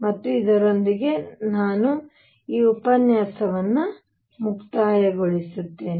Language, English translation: Kannada, And with this I conclude this lecture